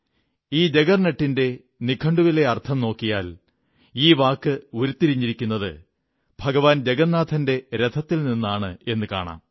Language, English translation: Malayalam, In the dictionary, the etymology of the word 'juggernaut' traces its roots to the chariot of Lord Jagannath